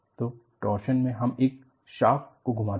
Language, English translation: Hindi, So, you go for twisting of a shaft under torsion